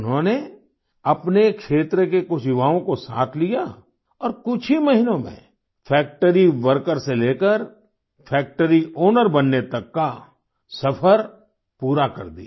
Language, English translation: Hindi, He brought along some youngsters from his area and completed the journey from being a factory worker to becoming a factory owner in a few months ; that too while living in his own house